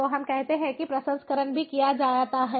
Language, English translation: Hindi, so let us say that that processing is also done